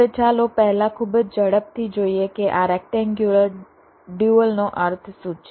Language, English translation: Gujarati, now let us first very quickly see what this rectangular dual means